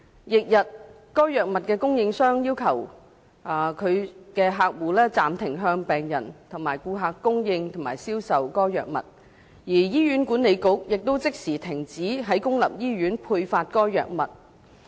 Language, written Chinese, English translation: Cantonese, 翌日，該藥物的供應商要求其所有客戶暫停向病人或顧客供應及銷售該藥物，而醫院管理局亦即時停止在公立醫院配發該藥物。, On the following day the supplier of that drug requested all its clients to suspend the supply and sale of the drug to patients or customers and the Hospital Authority also immediately ceased dispensing the drug in public hospitals